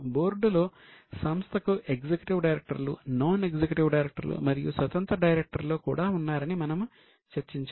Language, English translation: Telugu, We have just discussed that on the board you have got executive directors, non executive directors and there are also independent directors